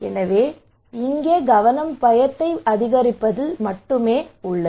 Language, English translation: Tamil, So here the focus is on to increase the fear only